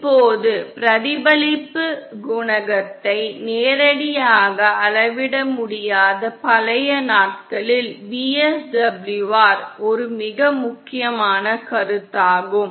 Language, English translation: Tamil, Now, VSWR was a very important concept in the olden days when we could not directly measure the reflection coefficient